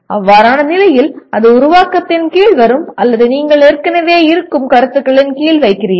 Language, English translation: Tamil, In that case it will come under create or you are putting under the existing known concepts